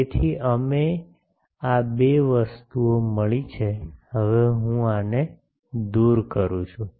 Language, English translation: Gujarati, So, we have got these two things, now I am removing these